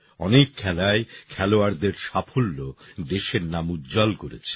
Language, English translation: Bengali, The achievements of players in many other sports added to the glory of the country